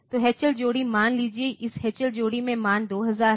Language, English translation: Hindi, So, H L pair suppose this H L pair contains the value 2000